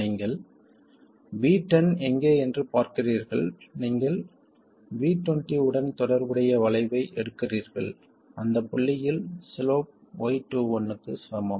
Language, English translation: Tamil, You look at where V1 is, you pick the curve corresponding to V20 and the slope at that point equals Y21